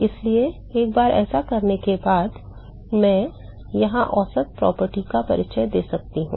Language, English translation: Hindi, So, once I do this, I can introduce the averaging property here